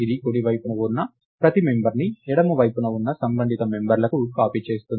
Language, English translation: Telugu, It copies each member on the right side to the corresponding members on the left side